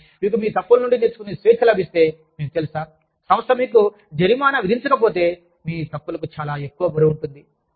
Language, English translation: Telugu, But, if you are given that freedom, to learn from your mistakes, you know, if the organization, does not penalize you, too heavily for your mistakes